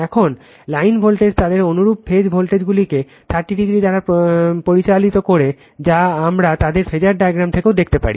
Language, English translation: Bengali, Now, line voltage is lead their corresponding phase voltages by 30 degree that also we can see from their phasor diagram right